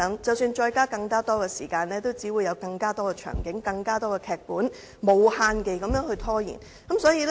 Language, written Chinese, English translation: Cantonese, 即使增加發言時間，他們也只會提出更多場景，無限期地拖延。, Even if these Members were given more time to speak they would only raise more scenarios and drag on indefinitely